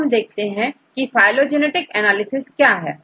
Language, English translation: Hindi, So then, these analyses, what is a phylogenetic analysis